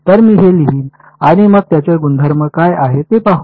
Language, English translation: Marathi, So, I will write it out and then we will see what its properties are